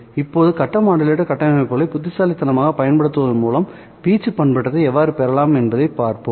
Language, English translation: Tamil, Now let us look at how can we obtain amplitude modulation by utilizing cleverly the phase modulator structures